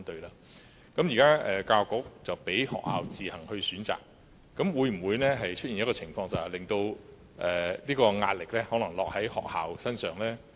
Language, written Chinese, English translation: Cantonese, 現時教育局容許學校自行選擇，會否令壓力落在學校身上呢？, Will schools be put under pressure if they are now allowed to make their own decisions?